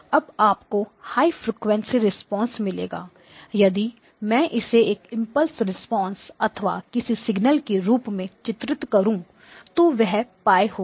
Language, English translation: Hindi, Now you will get high frequency response or so if I were to plot the frequency response of an impulse response or any signal, this is pipe